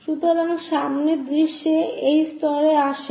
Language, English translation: Bengali, So, the front view comes at this level